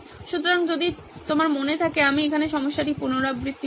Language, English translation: Bengali, So if you remember I will reiterate the problem right here